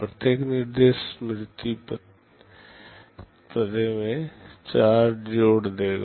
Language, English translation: Hindi, Each instruction will be adding 4 to the memory address